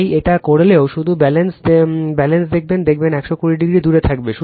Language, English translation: Bengali, So, even if you do it just see the balance so, you will see that it will be just 120 degree apart right